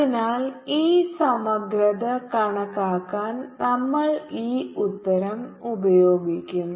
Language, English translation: Malayalam, so we will use this answer to calculate this integral